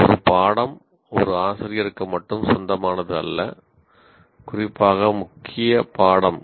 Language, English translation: Tamil, A course doesn't exclusively belong to a teacher, especially a core course